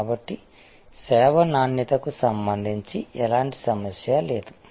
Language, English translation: Telugu, So, there is no problem with respect to the quality of service